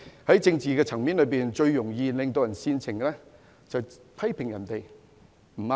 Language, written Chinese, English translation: Cantonese, 在政治層面，最煽情的就是批評別人不對。, In terms of politics it is most sensational to criticize others